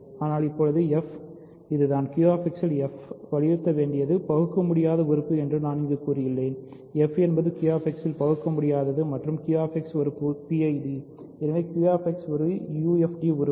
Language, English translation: Tamil, But now f this is what I should emphasize f in Q X is irreducible right that I have said here f is irreducible in Q X and Q X is a PID and hence Q X is a UFD right